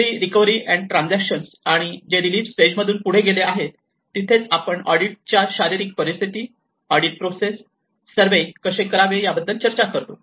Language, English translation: Marathi, In the early recovery and transition, which moves on from the relief stage that is where we talk about how one can do a survey of the physical conditions of the audits, the audit process